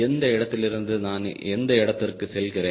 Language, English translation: Tamil, so from one point to another point i am going